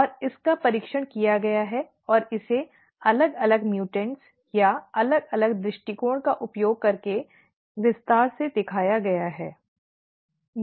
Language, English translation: Hindi, And this has been tested and this has been shown in a great detail using different mutants or different approaches that what happens